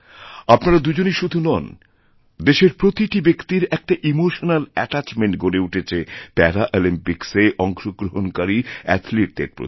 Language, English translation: Bengali, Not only the two of you but each one of our countrymen has felt an emotional attachment with our athletes who participated at the Paralympics